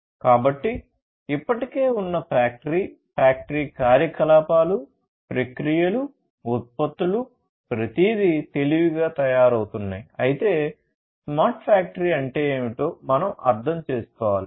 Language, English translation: Telugu, So, existing factory, factory operation, their operations, processes, products everything being made smarter, but then we need to understand that what smart factory is all about